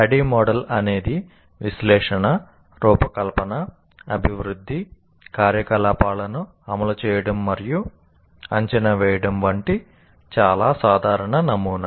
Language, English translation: Telugu, And the ADI is a very generic model representing analysis, design, development, implement and evaluate activities